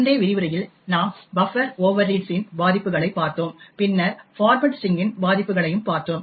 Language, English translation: Tamil, In the previous lectures we had looked at Buffer Overread vulnerabilities and then we also looked at format string vulnerabilities